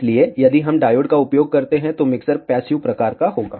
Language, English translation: Hindi, So, if we use diodes, the mixture will be of passive type